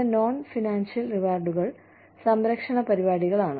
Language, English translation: Malayalam, Some non financial rewards are, the protection programs